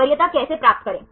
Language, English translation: Hindi, How to get the preference